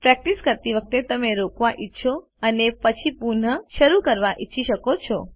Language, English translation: Gujarati, While practicing, you may want to pause and restart later